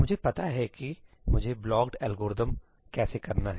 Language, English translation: Hindi, I know how to do my blocked algorithm